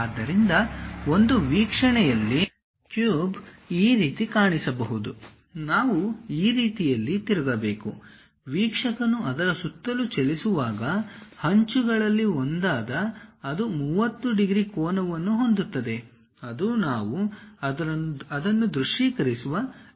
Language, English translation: Kannada, So, though the cube might looks like this in one of the view; we have to rotate in such a way that, as an observer moves around that, so that one of the edges it makes 30 degrees angle with the view, that is the way we have to visualize it